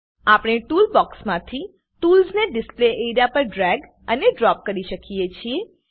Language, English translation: Gujarati, We can drag and drop tools from toolbox into the Display area